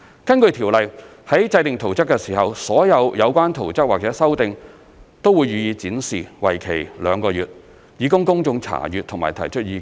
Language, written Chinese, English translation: Cantonese, 根據該條例，在制訂圖則時，所有有關圖則或修訂都會予以展示，為期兩個月，以供公眾查閱和提出意見。, According to the Ordinance all relevant plans or amendments in the process of plan - making will be exhibited for two months for public inspection and comment